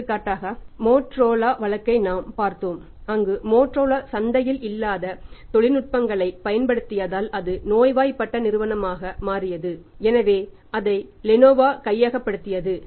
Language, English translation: Tamil, For example we saw the Motorola case, where Motorola is using technologies which is out of the market and it became sick company so it has to be taken over by Lenovo